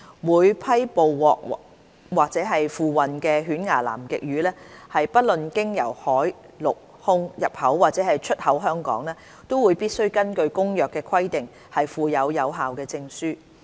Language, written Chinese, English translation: Cantonese, 每批捕獲或付運的犬牙南極魚，不論經由海、陸、空入口或出口香港，都必須根據《公約》規定附有有效證書。, Each catch or shipment of toothfish no matter imported to or exported from Hong Kong by sea land or air must be accompanied by a valid document issued in accordance with the provisions of CCAMLR